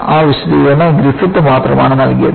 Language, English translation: Malayalam, That explanation was provided only by Griffith